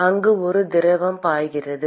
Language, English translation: Tamil, So, there is some fluid which is flowing